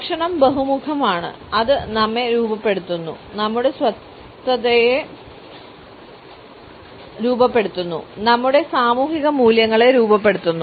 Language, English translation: Malayalam, Food is multidimensional, it shapes us, it shapes our identity, it shapes our social values